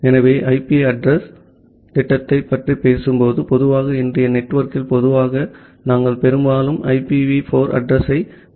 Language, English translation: Tamil, So, when we talk about the IP addressing scheme, so normally in general in today’s network we mostly used IPv4 address